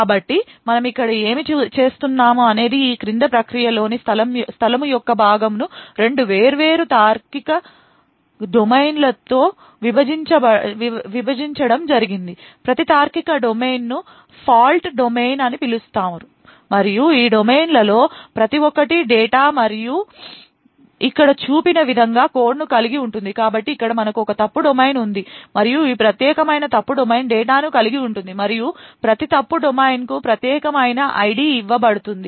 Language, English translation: Telugu, So what we do here is the following first the process space that is this part is partitioned in two various logical domains, each logical domain is known as a Fault Domain and each of these domains comprises of data and code as shown over here, so we have one fault domain over here and this particular fault domain comprises of data and code further each fault domain is given a unique ID